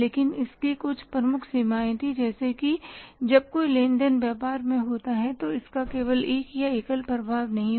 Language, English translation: Hindi, But that was suffering from a major limitation that when any transaction happens in the business, it doesn't have only one or single effect, it has double effect